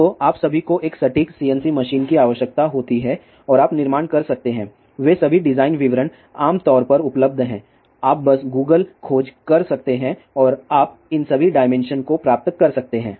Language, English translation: Hindi, So, all you require as a precision CNC machine and you can do the fabrication all that design details are generally available, you can just do the Google search and you can get all these dimension